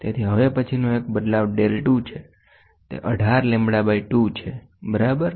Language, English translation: Gujarati, So, next one on the change is going to be del 2 is equal to 18 lambda by 2, ok